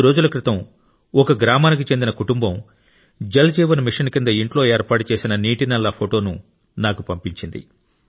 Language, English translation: Telugu, Just a few days ago, a family from a village sent me a photo of the water tap installed in their house under the 'Jal Jeevan Mission'